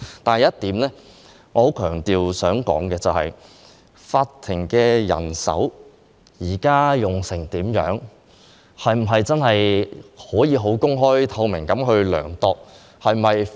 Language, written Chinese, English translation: Cantonese, 但是，我想強調一點，法庭現時人手的情況，是否可以公開透明地量度？, However I want to emphasize one point . Can the present manpower of the courts be quantified openly and transparently?